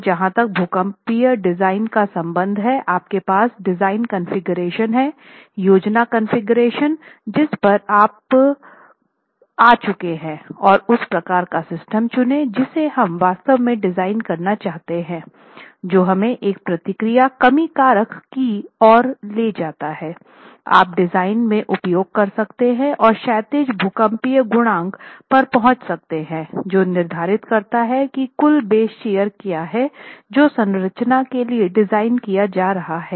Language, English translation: Hindi, So, the starting point is again as far as the seismic design is concerned, you have the design configuration, the plan configuration that you have arrived at and we have to choose the type of system that we want to actually design which then leads us to what sort of a response reduction factor can you use in the design and arrive at the horizontal seismic coefficient which then determines what is the total base here that the structure is going to be designed for